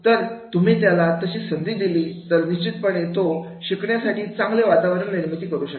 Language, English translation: Marathi, If you give him the opportunity, definitely he will be able to create that learning environment